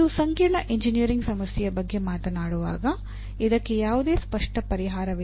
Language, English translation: Kannada, And when you talk about a complex engineering problem, it has no obvious solution